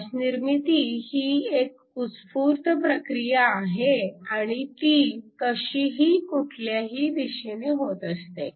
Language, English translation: Marathi, The formation of light is a spontaneous process and it occurs randomly in all directions